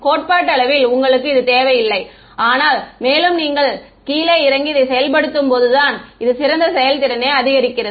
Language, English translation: Tamil, Theoretically you need do not need this, but when you get down to implementation this is what gives the best performance